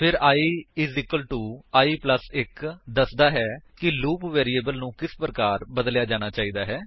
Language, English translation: Punjabi, Then i= i+1 states how the loop variable is going to change